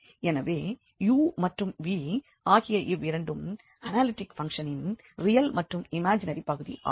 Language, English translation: Tamil, So, both u and v these real and the imaginary part of analytic function, they are harmonic